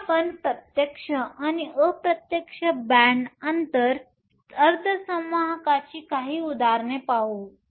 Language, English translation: Marathi, So, let us look at some examples of direct and indirect band gap semiconductors